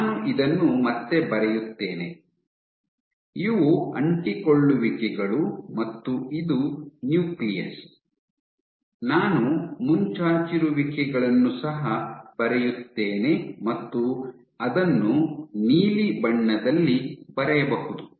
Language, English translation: Kannada, Let me draw again, you have these adhesions and you have the nucleus, what I will also draw these protrusions I can draw in blue